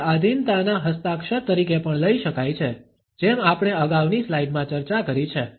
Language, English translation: Gujarati, It can also be taken as a signature of submissiveness, as we have discussed in the previous slide